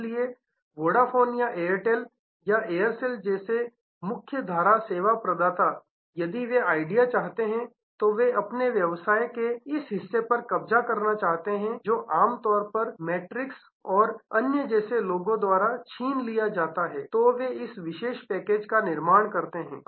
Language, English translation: Hindi, So, the main stream service providers like Vodafone or Airtel or Aircel or if they want to, Idea, they want to capture this part of their business, which is normally taken away by people like matrix and others, then they create this special package